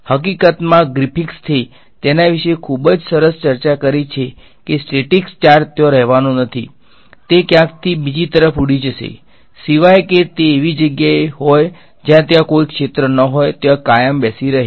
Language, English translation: Gujarati, In fact, Griffiths has a very nice discussion about it a static charge is not going to sit there it will fly off somewhere over the other, unless it is in the place where there is no fields whatsoever sitting there forever